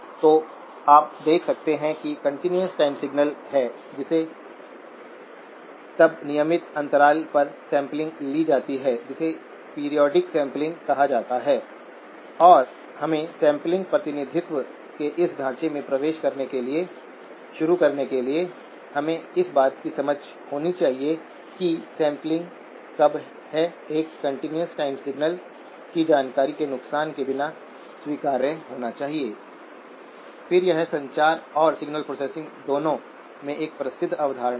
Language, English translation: Hindi, So you can see that there is a continuous time signal which is then sampled at regular intervals which is called periodic sampling and in order for us to begin to enter this framework of a sampled representation, we need to have the understanding of when is sampling an acceptable representation without loss of information of a continuous time signal